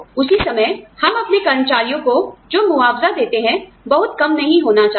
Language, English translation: Hindi, At the same time, the compensation, that we give to our employees, should not be very less